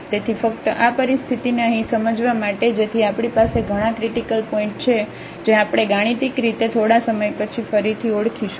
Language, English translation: Gujarati, So, just to realize this situation here so we have many critical points which we will identify again mathematically little later